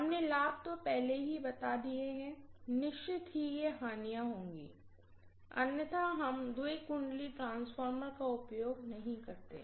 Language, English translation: Hindi, So the advantages we said already, definitely that should be disadvantages otherwise we will not be using two winding transformer at all